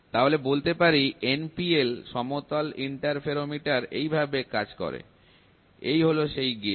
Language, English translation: Bengali, So, the NPL flatness interferometer works like this, the gauge is there